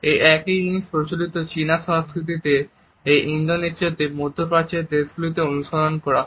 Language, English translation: Bengali, The same was followed in conventional Chinese culture also in Indonesia in countries of the Middle East also